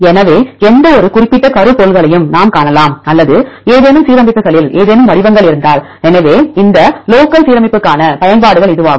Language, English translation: Tamil, So, we could find any specific motifs or if any patterns in any alignments; so this is the applications for this local alignment